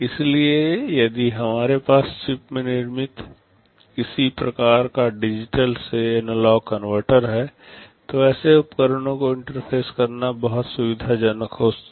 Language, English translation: Hindi, So, if we have some kind of analog to digital converter built into the chip, it becomes very convenient to interface such devices